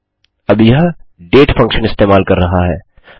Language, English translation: Hindi, Now, this is using the date function